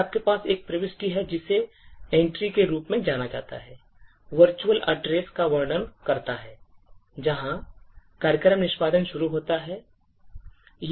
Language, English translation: Hindi, Then you have an entry which is known as Entry, which describes the virtual address, where program has to begin execution